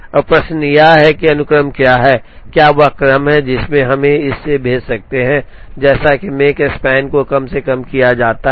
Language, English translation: Hindi, Now, the question is what is the sequence or what is the order, in which we can send this, such that the Makespan is minimized